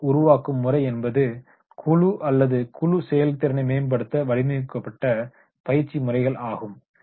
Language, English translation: Tamil, Group building methods are training methods designed to improve team or group effectiveness